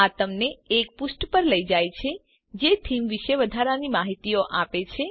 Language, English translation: Gujarati, This takes you to a page which gives additional details about the the theme